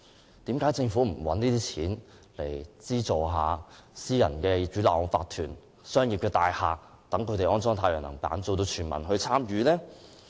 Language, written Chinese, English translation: Cantonese, 為甚麼政府不利用這些款項來資助私人屋苑的業主立案法團及商業大廈安裝太陽能板，達致全民參與呢？, Why did the Government not use the money to subsidize the installation of solar panels by owners corporations in private housing estates and commercial buildings so as to achieve territory - wide participation?